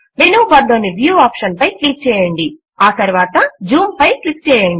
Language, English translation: Telugu, Click on the Viewoption in the menu bar and then click on Zoom